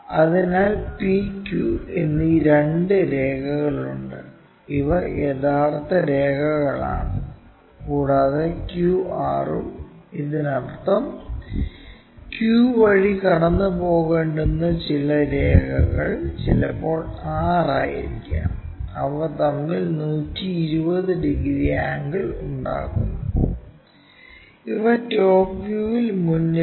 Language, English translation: Malayalam, So, there are two lines P and Q these are true ones, and QR also there that means, the other line supposed to pass through Q maybe that is R; they make 120 degrees angle between them and these are in front in the top views